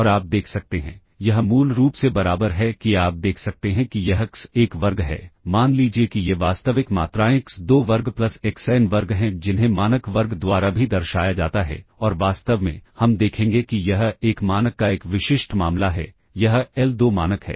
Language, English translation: Hindi, And you can see, this is basically equal to you can see this is x1 square, say these are real quantities x2 square plus xn square which is also denoted by the norm square and in fact, we will see this is a specific case of a norm, this is the l2 norm